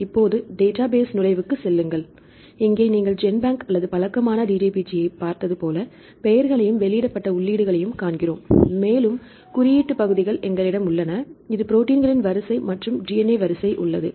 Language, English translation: Tamil, Now, go to the database entry, here also if you see the similar to the GenBank or familiar DDBJ, we see the names and the Pubmed entries and we have the coding regions this is the proteins sequence and we have the DNA sequence